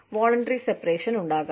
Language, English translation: Malayalam, There could be, voluntary separation